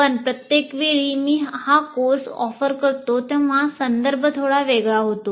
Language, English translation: Marathi, But what happens is every time I offer this course, the context slightly becomes different